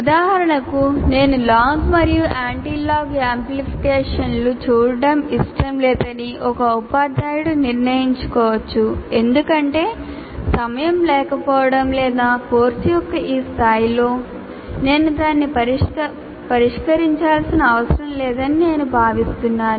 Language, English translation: Telugu, For example, a teacher may decide that I don't want to look at log and anti log amplification because for the lack of time or I consider at the first level of, at this level of this course, I don't need to address that